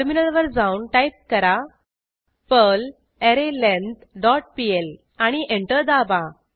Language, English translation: Marathi, Switch to terminal and type perl arrayLength dot pl and press Enter